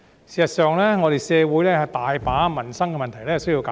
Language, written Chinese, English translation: Cantonese, 事實上，社會有很多民生問題需要解決。, In fact our society faces many livelihood problems that need to be solved